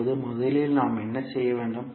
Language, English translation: Tamil, Now, first what we need to do